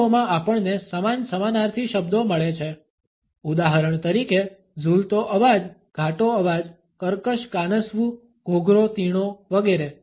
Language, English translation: Gujarati, In languages we find similar synonyms for example, grating voice metallic voice raucous rasp rough shrill etcetera